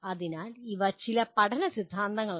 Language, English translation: Malayalam, So these are some of the learning theories